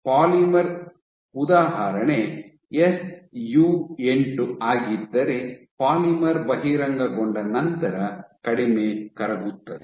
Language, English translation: Kannada, So, the polymer example is SU 8 then the polymer is less soluble after being exposed ok